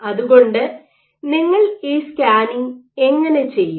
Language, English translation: Malayalam, So, how do you do this scan